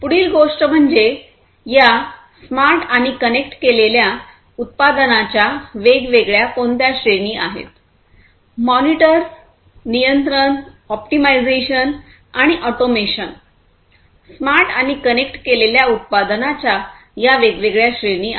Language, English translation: Marathi, The next thing is that; what are the different categories of these smart and connected products; monitor, control, optimization, and automation; these are these different categories of smart and connected products